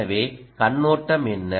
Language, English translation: Tamil, so what is the overview